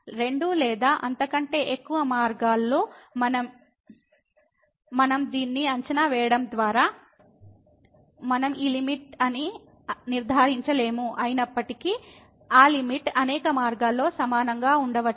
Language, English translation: Telugu, But we cannot conclude by evaluating the limit along two or many paths that this is the limit, even though that limit may be same along several paths